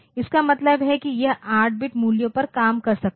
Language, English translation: Hindi, So, it means that it can operate on 8 bit values